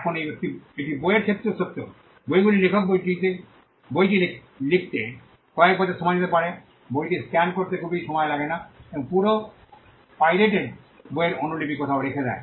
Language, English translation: Bengali, Now this is also true for books, books may take an author may take years to write the book it does not take much to scan the book and put the copy of the entire pirated book somewhere in the cloud